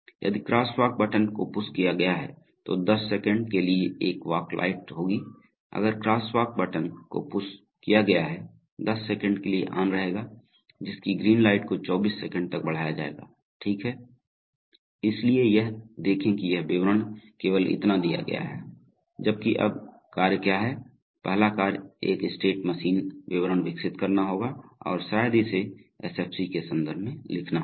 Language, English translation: Hindi, If the crosswalk button has been pushed, then a walk light will be on for 10seconds, if the crosswalk button has been pushed then walk light, so will be on for 10 seconds and the green light will be extended to 24 seconds, right, so this is, see this much of description is only given, now while, so what is the task, the first task would be to develop a state machine description and probably write it in terms of, write it in terms of an SFC